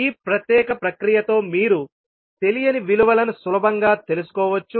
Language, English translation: Telugu, So basically with this particular process, you can easily find out the values of the unknowns